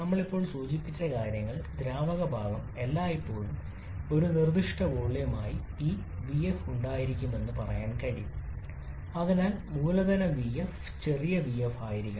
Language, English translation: Malayalam, Now how much volume occupied by the liquid phase what we have just mentioned then we can say that the liquid part will always be having this small vf as a specific volume so capital VF should be small vf